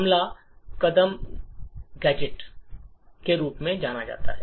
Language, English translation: Hindi, The first step is finding something known as gadgets